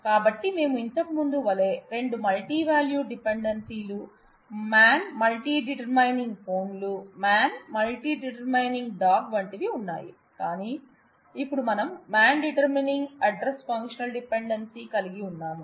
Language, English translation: Telugu, So, we have two multivalued dependencies like before, man multi determining phones and man multi determining dog like, but now we have a functional dependency man determining address the key continues to be MPD